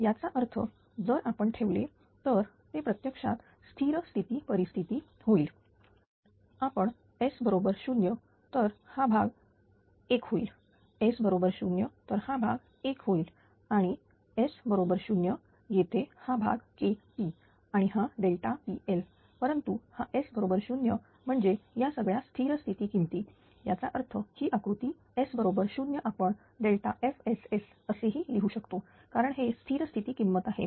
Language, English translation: Marathi, That means if we put it then this is actually steady state condition if we put S is equal to 0 this part will be 1, S is equal to 0 here ah this part is 1, S is equal to 0 here also this part is 1 and S is equal to 0 here this part is K p and this is delta Pg delta P L, but for S is equal to 0 means these are all steady state values so; that means, this block diagram for S is equal to 0 can be written as this is delta S as it is steady state value this is K p because S is equal to 0 here, right